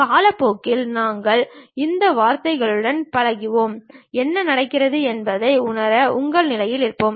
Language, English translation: Tamil, Over the time we will acclimatize with these words and will be in your position to really sense what is happening